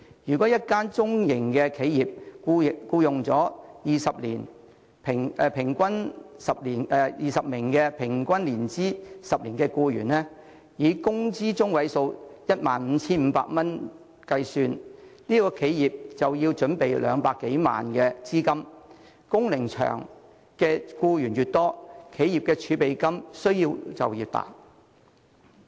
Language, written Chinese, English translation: Cantonese, 假設一間中型企業僱用了20名年資平均10年的僱員，以工資中位數 15,500 元計算，該企業便要預備200多萬元資金，工齡長的僱員越多，企業儲備金的需要便越大。, Suppose a medium enterprise has hired 20 employees whose length of service is 10 years on average . Using the median wage of 15,500 as the basis for calculation the enterprise will have to reserve some 2 million . The greater the number of employees with long years of service the greater the amount of money the enterprise will need to reserve